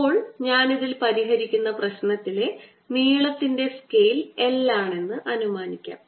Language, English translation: Malayalam, now let me assumed that the length scale in the problem that we are solving in this is l